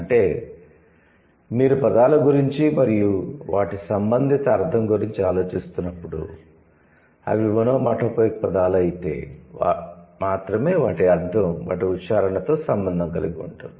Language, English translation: Telugu, So, that means when you are thinking about words and their corresponding meaning, it's only the onomatopic words which will have their meaning associated with their pronunciation